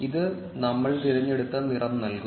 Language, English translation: Malayalam, This will give it the color, which we have selected